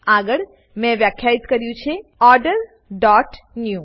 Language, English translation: Gujarati, Next, I have defined Order dot new